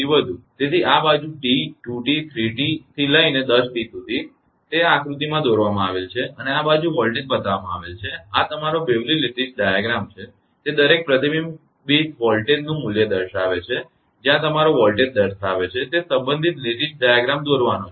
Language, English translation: Gujarati, So, this side T, 2 T, 3 T up to 10 T, it is drawn in this figure and this side the voltage is shown right this is Bewley’s your lattice diagram it is as to draw the associated lattice diagram showing the value of each reflected volt value where your voltage